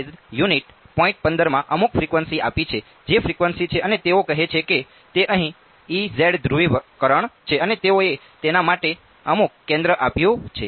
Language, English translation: Gujarati, 15 that is the frequency and they are saying that is E z polarisation over here and they have given some centre for it ok